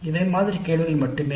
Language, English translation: Tamil, This is just an example